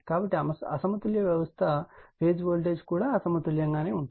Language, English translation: Telugu, So, unbalanced system phase voltage also may be unbalanced